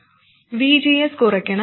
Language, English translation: Malayalam, VGS must reduce